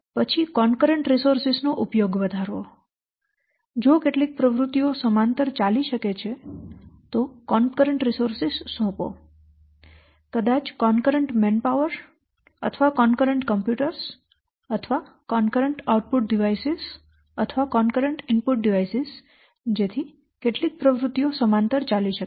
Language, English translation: Gujarati, some things some activities can run parallelly, give concurrent or assign concurrent resources, maybe concurrent what may empower or concurrent computers or concurrent output devices or concurrent input devices so that some activities can run parallel